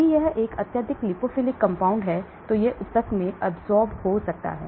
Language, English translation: Hindi, If it is a highly lipophilic, it may get absorbed in the tissue